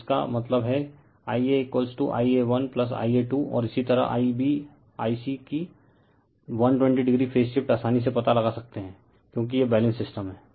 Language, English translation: Hindi, So, ; that means, your I a is equal to I a 1 plus I a 2 and similarly I b I c that 120 degreephase shift you can easily make out because this is Balanced system